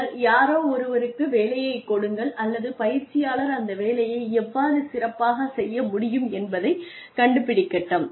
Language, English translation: Tamil, And then, assign somebody, give the job to, or let one person figure out, how the learner can do the job well